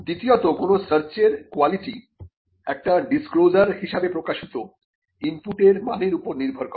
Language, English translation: Bengali, Secondly, the quality of a search depends on the quality of the input in the form of a disclosure that has been given